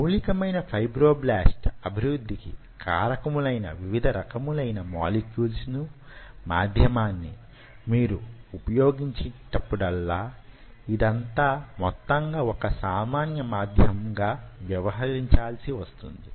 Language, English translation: Telugu, now, whenever you are using anything which these kind of molecules, which are mostly basic fibroblast growth factors, which are used, and, and and this media, this whole thing has to be, ah, a common medium